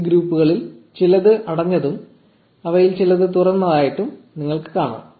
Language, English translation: Malayalam, You can see that some of these groups are closed and some of them are open